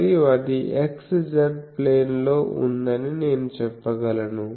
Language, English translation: Telugu, And I can say that is in the x z plane ok